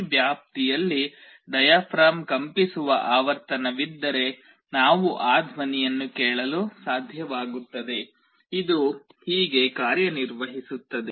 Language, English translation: Kannada, If there is a frequency with which the diaphragm is vibrating in this range, we will be able to hear that sound; this is how it works